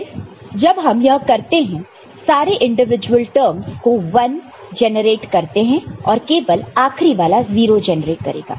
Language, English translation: Hindi, And then when you do it all individual terms you generate 1, and only the last time will generate 0